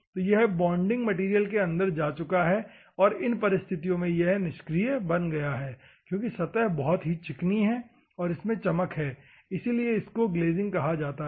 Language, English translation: Hindi, So, it has gone inside the bonding material so, it became inactive in that circumstances the surface is very smooth, and it is glazing that is why it is called glazing